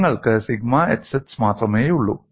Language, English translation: Malayalam, Here I have sigma xx by 2